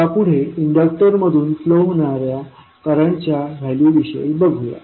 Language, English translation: Marathi, Now, next the value of current flowing through the inductor